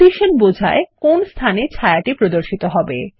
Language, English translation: Bengali, Position defines where the shadow will appear